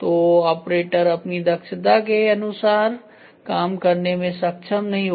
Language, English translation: Hindi, So, the operator will not be able to work at his efficiency